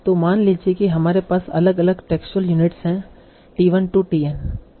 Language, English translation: Hindi, So again suppose that we have different textured units, T1 to TN